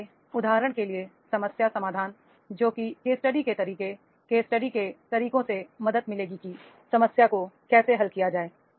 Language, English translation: Hindi, So, for example, the problem solving, the case study methods, case study methods will be helping, that is how the problems are to be solved